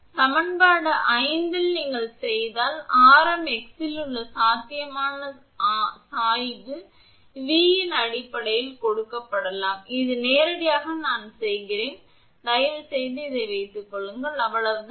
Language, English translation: Tamil, So, in equation 5 if you do, the potential gradient at a radius x can be given as in terms of V this is directly I am doing it, just you please put it, that is all